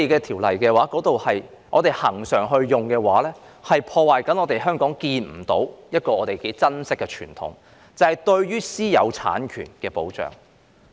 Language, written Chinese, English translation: Cantonese, 恆常引用《收回土地條例》的話，會破壞一個我們珍惜但看不見的香港傳統，就是對私有產權的保障。, If the Lands Resumption Ordinance is invoked frequently this will undermine a precious but intangible tradition of Hong Kong and that is the protection of private property rights